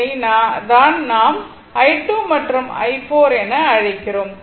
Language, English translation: Tamil, So, it is ah your what you call i 2 and i 4 into 0